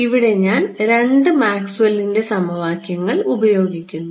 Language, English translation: Malayalam, If I want one more relation, I need to use the second Maxwell’s equation right